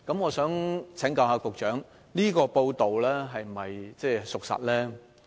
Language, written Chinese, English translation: Cantonese, 我想請教局長，這則報道是否屬實？, May the Secretary advise me on whether this report is true?